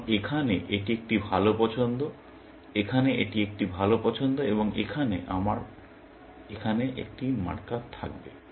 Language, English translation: Bengali, Because, here this is a better choice, here, this is a better choice and here, I would have a marker here